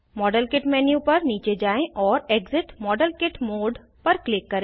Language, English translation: Hindi, Scroll down the model kit menu and click exit model kit mode